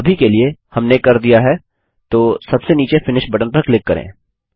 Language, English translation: Hindi, For now, we are done, so let us click on the finish button at the bottom